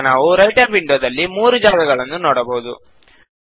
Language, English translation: Kannada, Now we can see three areas in the Writer window